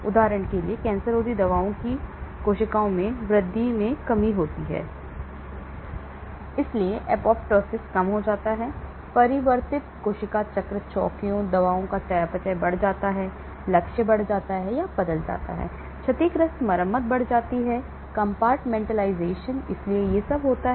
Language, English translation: Hindi, For example, anti cancer drugs there is an decrease in uptake in the cells, so there is a reduced apoptosis, altered cell cycle checkpoints, increased metabolism of drugs, increased or altered targets, increased repair of damaged, compartmentalization, so all these happen and also we have increased to efflux also